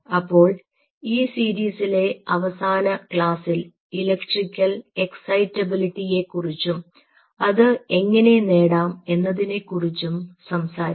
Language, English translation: Malayalam, so in the last ah class in the series will talk the electrical excitability and how we achieve it